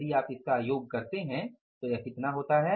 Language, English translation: Hindi, So, this is going to be how much